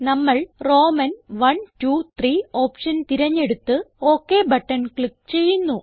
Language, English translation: Malayalam, We will choose Roman i,ii,iii option and then click on the OK button